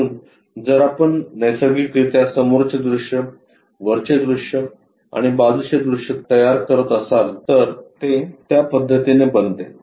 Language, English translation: Marathi, So, if we are constructing naturally the front view, top view and side view becomes in that way